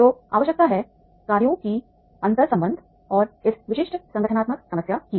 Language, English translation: Hindi, So, there is required the interleadedness of the functions and these particular specific organizational problem